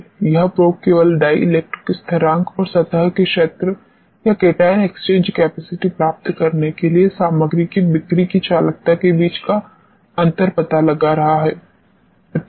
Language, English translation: Hindi, That probe is simply finding out the difference between the dielectric constants and the conductivity of the selling of the material to get the surface area or cation exchange capacity and so on